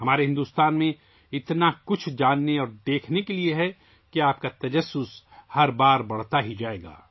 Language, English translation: Urdu, There is so much to know and see in our India that your curiosity will only increase every time